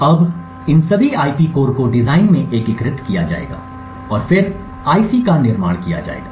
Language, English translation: Hindi, Now, all of these IP cores would be integrated into the design and then used to manufacture the IC